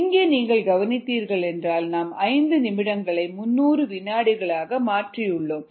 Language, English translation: Tamil, we see that i have converted this five minutes into three hundred seconds